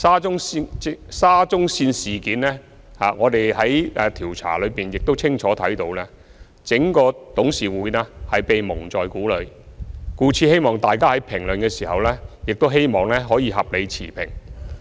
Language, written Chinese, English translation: Cantonese, 就沙中線事件，我們在調查中亦清楚看到，整個董事局是被蒙在鼓裏，故此希望大家在評論時可以合理持平。, As we observed during our investigation into the Shatin to Central Link SCL incident the entire board of directors had been kept in the dark . So I hope all of you can be reasonable and fair while passing your comments